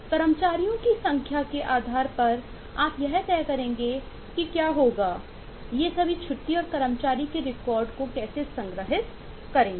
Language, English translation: Hindi, depending on the number of employees, you will decide whether how, with the all these, leave record and employee record will be stored